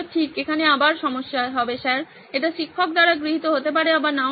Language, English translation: Bengali, Again problem here would be sir, it might be accepted by the teacher or might not be accepted by the teacher